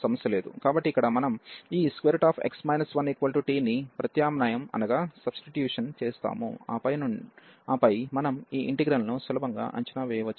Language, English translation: Telugu, So, here we will substitute this square root x minus 1 to t, and then we can easily evaluate this integral